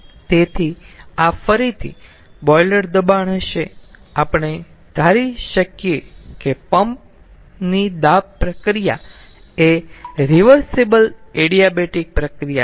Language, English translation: Gujarati, again we can assume the ah compression process in the pump is a reversible adiabatic process